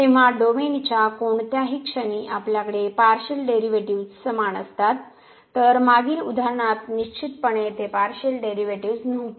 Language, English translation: Marathi, Then at any point in the domain we have the partial derivatives equal; this mixed order partial derivatives equal